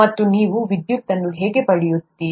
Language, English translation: Kannada, And that's how you get electricity